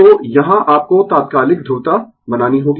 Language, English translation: Hindi, And this is your instantaneous polarity